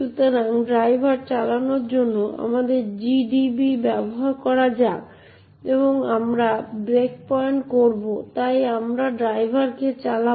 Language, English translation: Bengali, So, let us use GDB to run driver and we would breakpoint, so we run driver